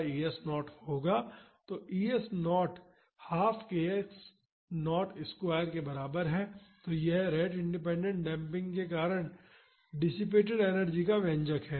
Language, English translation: Hindi, So, E S naught is equal to half k x naught square; so, this is the expression of the energy dissipated due to rate independent damping